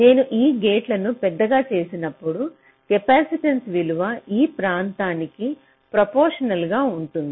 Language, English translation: Telugu, so if i make this gate larger, the value of the capacitance is proportional to the area